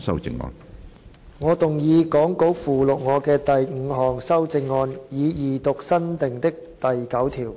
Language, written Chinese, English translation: Cantonese, 主席，我動議講稿附錄我的第五項修正案，以二讀新訂的第9條。, Chairman I move my fifth amendment to read new clause 9 the Second time as set out in the Appendix to the Script